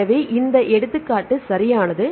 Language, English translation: Tamil, So, given an example right